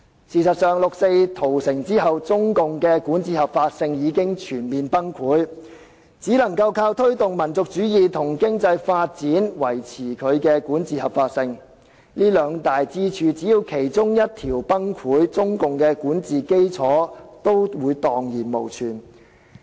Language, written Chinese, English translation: Cantonese, 事實上，六四屠城後，中共的管治合法性已經全面崩潰，只能靠推動民族主義和經濟發展來維持其管治合法性，只要這兩大支柱的其中一條崩潰，中國的管治基礎也會蕩然無存。, In fact after the 4 June massacre the legitimacy of CPCs governance had totally collapsed and the legitimacy of its rule can only be sustained by promoting nationalism and economic development . So long as one of the two pillars collapses the foundation of Chinas governance will perish